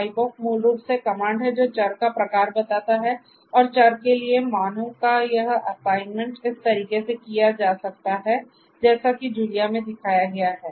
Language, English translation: Hindi, Type of is a basically comment for getting that type of a particular variable and this assignment of values to variables can be done in this manner as shown in Julia